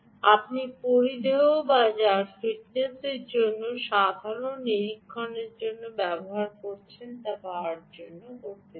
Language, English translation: Bengali, you want to power the variables which you are using either for fitness or for normal monitoring